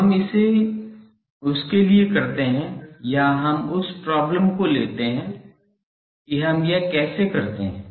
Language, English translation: Hindi, So, let us do it for that or let us take a problem to underscore how we do it